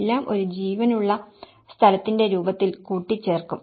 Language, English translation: Malayalam, All will put together in a form of a lived space